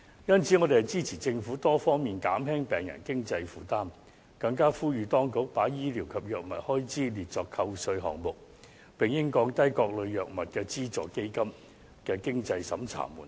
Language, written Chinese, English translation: Cantonese, 因此，我們支持政府多方面減輕病人的經濟負擔，更呼籲當局把醫療及藥物開支列作扣稅項目，並應降低各類藥物的資助基金的經濟審查門檻。, Hence we express our support for the Government to alleviate patients financial burden on various fronts . We also call on the authorities to list medical and drug expenses as tax deduction items . They should also lower the means test thresholds of subsidy funds for various types of drugs